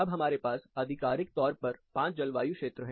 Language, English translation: Hindi, Now we have officially 5 climate zones